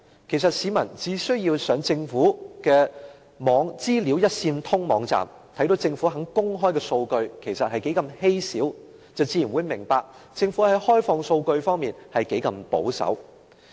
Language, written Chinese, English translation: Cantonese, 其實，市民只需上政府的"資訊一線通"網站，看到政府公開的數據是何等稀少，便自然明白政府在開放數據方面，是何等的保守。, In fact just by browsing the Governments DataGovHK the public will know how little the Government has opened up its data and how conservative it is in this regard